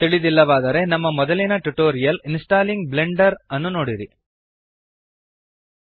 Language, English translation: Kannada, If not please refer to our earlier tutorials on Installing Blender